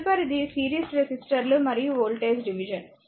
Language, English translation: Telugu, Next is that your series resistors and voltage division